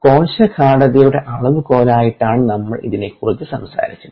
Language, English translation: Malayalam, this is what we talked about as a measure of the cell concentration itself